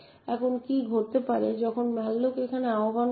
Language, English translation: Bengali, Now what could happen when malloc gets invoked over here